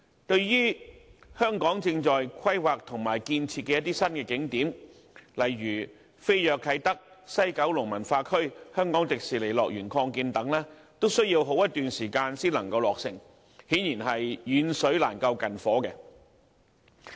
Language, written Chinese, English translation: Cantonese, 至於香港正在規劃和建設的一些新景點，例如飛躍啟德、西九文化區和香港迪士尼樂園擴建等，均要好一段時間才能落成，顯然是遠水難救近火。, While some new tourist attractions such as Kai Tak Fantasy the West Kowloon Cultural District and the expansion of the Hong Kong Disneyland are under planning and construction some time is needed for their commissioning . Clearly it is a case that the steed starves while the grass grows